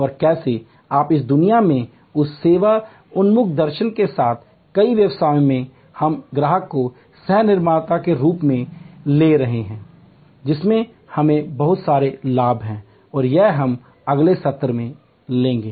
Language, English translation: Hindi, And how in today's world with that service oriented philosophy in many businesses we are bringing in this customer as co creator with a lot of benefits and that is what we will take on in the next session